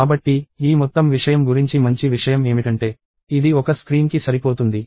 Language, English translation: Telugu, So, the nice thing about this whole thing is it fits into one screen